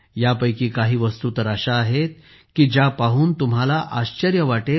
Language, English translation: Marathi, Some of these are such that they will fill you with wonder